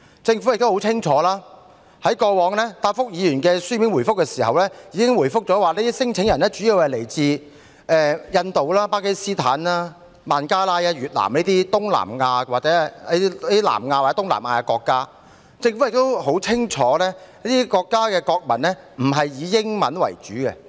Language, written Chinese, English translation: Cantonese, 政府在過往答覆議員的書面質詢時曾清楚表示，聲請人主要來自印度、巴基斯坦、孟加拉、越南等南亞或東南亞國家，而政府亦很清楚這些國家的國民並非以英語為母語。, In its replies to Members written questions in the past the Government clearly indicated that claimants mainly came from South Asian countries or South East Asian countries such as India Pakistan Bangladesh and Vietnam and the Government was also well aware that the mother tongues of the nationals of these countries were not English